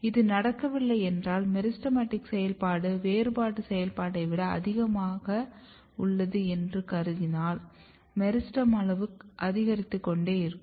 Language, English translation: Tamil, If this does not happens, if let us assume that meristematic activity is more than the differentiation activity then the meristem size will keep on increasing